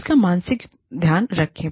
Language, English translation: Hindi, Make a mental note of it